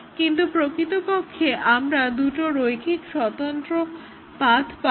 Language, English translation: Bengali, So, that is the definition of the linearly independent paths